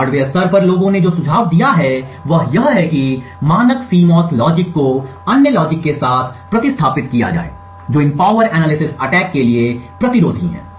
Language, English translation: Hindi, At the hardware level what people have suggested is that the standard CMOS logic be replaced with other logic which are resistant to these power analysis attacks